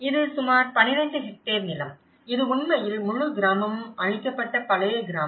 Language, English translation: Tamil, This is about a 12 hectare land; this is actually the old village where the whole village has got destroyed